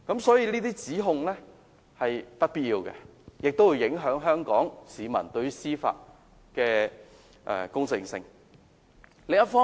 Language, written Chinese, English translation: Cantonese, 所以，這些指控是不必要的，而且會影響香港市民對於司法公正的觀感。, This allegation is therefore unnecessary and will affect Hong Kong peoples perception of judicial fairness